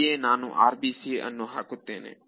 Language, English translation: Kannada, So, that is the place where I apply the RBC